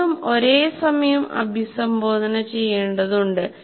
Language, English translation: Malayalam, All the three need to be addressed at the same time